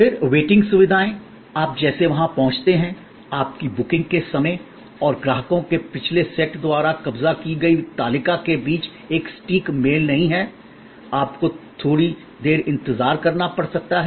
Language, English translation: Hindi, Then, waiting facilities like you arrive there, there is not an exact match between your time of booking and the table occupied by the previous set of customers, you may have to wait for little while